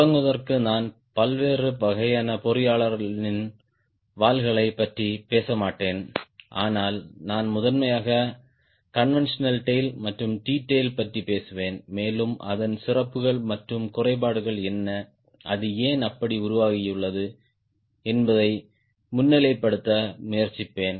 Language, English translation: Tamil, to start with, i will not talk about various types of engineers tails, but i will primarily talk about conventional tail and a t tail and try to highlight what are the merits and demerits and a why it has evolve like that